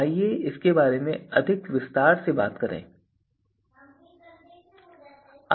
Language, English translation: Hindi, So, let us talk about this in more detail